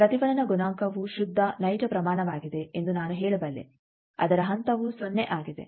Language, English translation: Kannada, Can I not say that reflection coefficient there is a pure real quantity its phase is 0